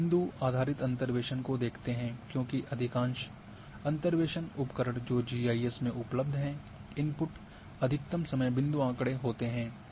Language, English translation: Hindi, Now, point based interpolation because in most these interpolation tools which are available in GIS the input is maximum time is point data